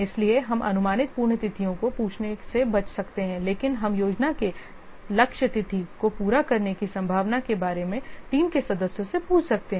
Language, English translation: Hindi, So, we can avoid asking the estimated completion dates but we can ask the team members about the estimates of the likelihood of meeting the plan target date